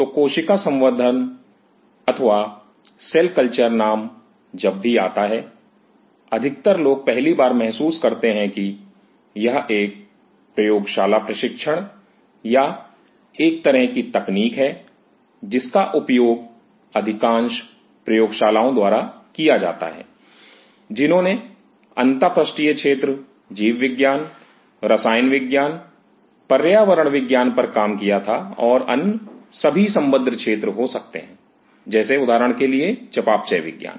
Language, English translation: Hindi, So, the name cell culture, whenever it comes gross people have the first feeling that well, it is a lab training or a kind of a technique which is used by most of the labs, who worked at the interface area biology chemistry environmental sciences and all other allied fields might metabolic sciences say for example